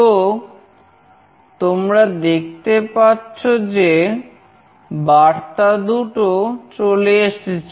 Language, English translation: Bengali, So, you can see two messages have come